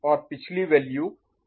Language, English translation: Hindi, And previous value was 1 and 0